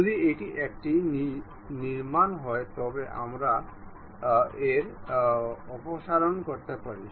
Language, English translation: Bengali, If it is a construction one we can remove that